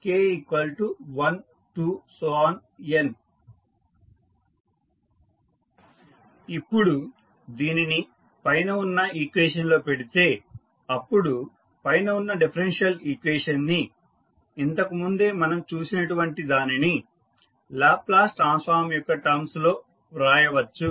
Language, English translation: Telugu, Now, if you put that into the above equation, so the above the differential equation and what we have saw, recently we can write in terms of Laplace transforms